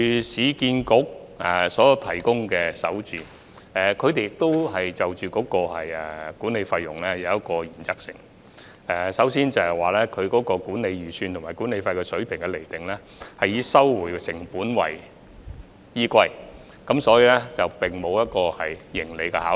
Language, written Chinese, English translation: Cantonese, 市建局的首置項目，在管理費方面依循一個原則，就是管理預算和管理費水平以收回成本為原則，沒有盈利的考慮。, The management fees for SH projects of URA follow a principle the management fee estimates and levels should set at cost recovery without profit consideration